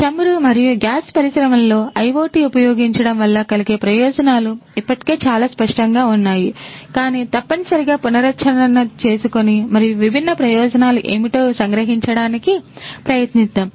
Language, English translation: Telugu, So, the benefits of using IoT in oil and gas industries is already quite apparent, but essentially let us recap and try to summarize what are the different benefits